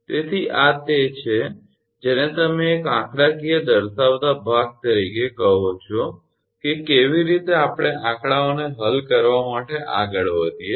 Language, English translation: Gujarati, So, this is the your what you call the one numerical showing part by part that how we will proceed for solving numericals right